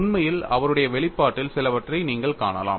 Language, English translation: Tamil, In fact, you could see some of this in his publication